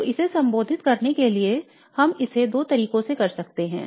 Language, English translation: Hindi, So in order to address this we can go about by doing this in two ways